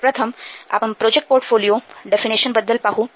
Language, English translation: Marathi, Let's see about first the project portfolio definition